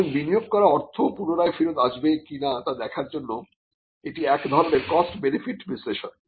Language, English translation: Bengali, So, it is kind of a cost benefit analysis to see whether the money that is invested could be recouped